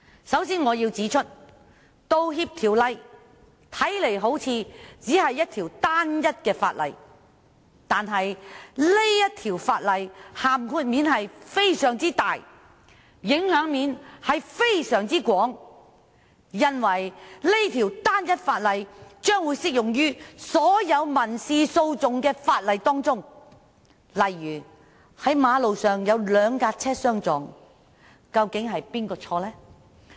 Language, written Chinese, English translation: Cantonese, 首先，我要指出，《道歉條例》看來好像只是一項單一法例，但這項條例的涵蓋及影響範圍廣闊，因為這項條例將會適用於所有民事訴訟的法例，例如當馬路上兩車相撞，究竟是誰的錯呢？, First I have to point out that though the Apology Ordinance merely looks like a simple piece of legislation the scope and influence are extensive as it will apply to all the laws relating to civil proceedings . For example when two cars collide on the road whose fault is it?